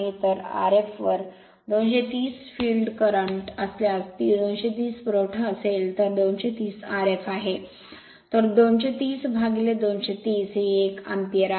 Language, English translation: Marathi, So, field current if is equal to 230 upon R f, 230 is supply 230 is the R f, so 230 by 230 is 1 ampere